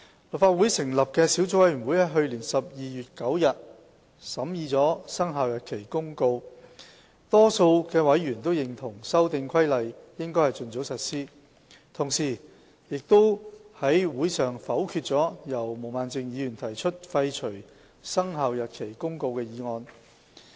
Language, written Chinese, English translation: Cantonese, 立法會成立的小組委員會於去年12月9日審議了《生效日期公告》，多數委員都認同《修訂規例》應盡早實施，同時，亦在會上否決了由毛孟靜議員提出廢除《生效日期公告》的決議案。, A subcommittee formed by the Legislative Council scrutinized the Commencement Notice at its meeting on 9 December last year . The majority of members of the subcommittee agreed that the Amendment Regulation should be put into operation as early as possible and a resolution proposed by Ms Claudia MO to repeal the Commencement Notice was negatived at that meeting